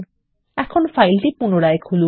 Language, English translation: Bengali, Now lets re open the file